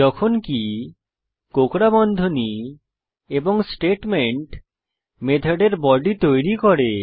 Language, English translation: Bengali, While the curly brackets and the statements forms the body of the method